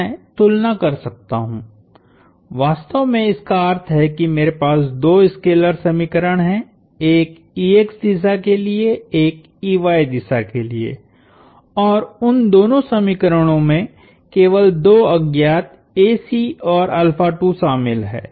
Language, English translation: Hindi, I can compare; it essentially means that I have two scalar equations, one for the ex direction, one for the ey direction and both those equations involve only two unknowns, a sub c and alpha1